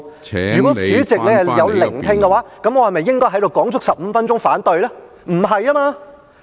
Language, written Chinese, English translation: Cantonese, 如果主席有聆聽，我是否應該在這裏說足15分鐘"反對"呢？, if the President has listened to my speech should I just keep on saying I oppose for the entire 15 minutes?